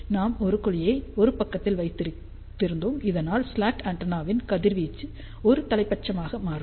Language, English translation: Tamil, So, we had placed a cavity on one side, so that the radiation of the slot antenna becomes unidirectional